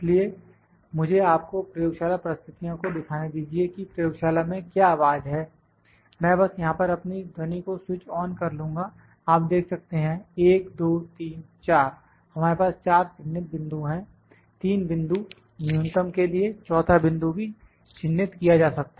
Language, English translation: Hindi, So, let me try to show you the laboratory conditions that what is the voice in the laboratory I will just switch on my sound here you can see 1, 2, 3, 4, we have marked 4 points